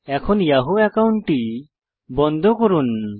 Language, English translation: Bengali, Lets close the yahoo account